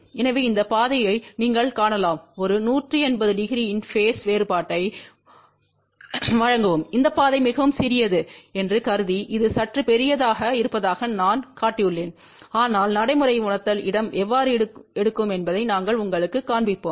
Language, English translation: Tamil, So, this path you can see that this will provide a phase difference of one 180 degree and assuming that this path is very very small the way I have shown it looks little larger but we will show you how the practical realization takes place